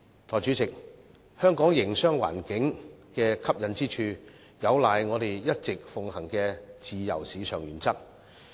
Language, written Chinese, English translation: Cantonese, 代理主席，香港營商環境的吸引之處有賴我們一直奉行的自由市場原則。, Deputy President the attractiveness of Hong Kongs business environment lies in on the free market principle that we have been upholding all along